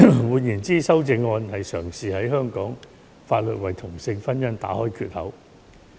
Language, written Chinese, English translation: Cantonese, 換言之，修正案嘗試在香港法律為同性婚姻打開缺口。, In other words the amendments were trying to create a hole in Hong Kong law for same - sex marriage